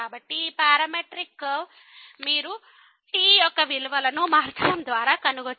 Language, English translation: Telugu, So, this parametric curve you can trace by varying the values of